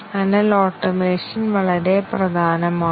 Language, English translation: Malayalam, And therefore automation is very important